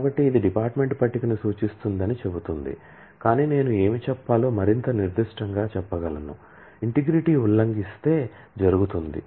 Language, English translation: Telugu, So, this just says that this refers to the department table, but I can be more specific to say what will happen if the integrity gets violated